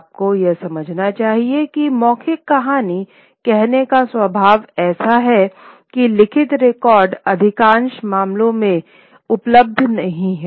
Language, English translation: Hindi, Of course, you must understand that the very nature of oral storytelling is such that written records are not available in most of the cases